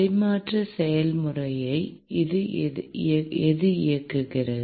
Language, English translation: Tamil, What drives the transfer process